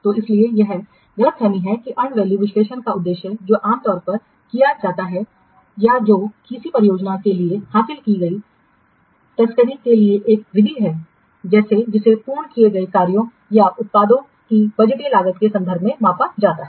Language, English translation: Hindi, So that's why this is to misunderstand that the purpose of the end value analysis, which is normally carried out or which is a method for trafficking, what has been achieved for a project, which is measured in terms of the budgeted cost of completed tax or products